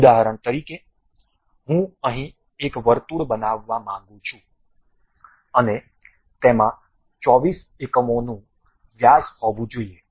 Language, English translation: Gujarati, For example I would like to construct a circle here and that supposed to have a units of 24 diameters